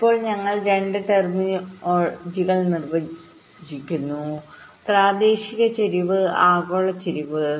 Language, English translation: Malayalam, now we define two terminologies: local skew and global skew